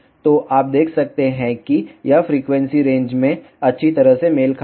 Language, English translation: Hindi, So, you can see it is well matched in this frequency range